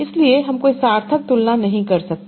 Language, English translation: Hindi, So we cannot make any meaningful comparison